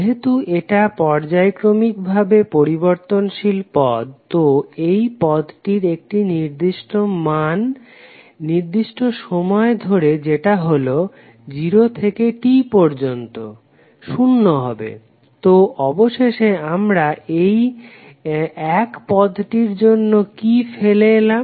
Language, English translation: Bengali, Since this is a sinusoidally wearing term, so the value of this term over one particular time period that is between 0 to T will become 0, so eventually what we have left with this only term 1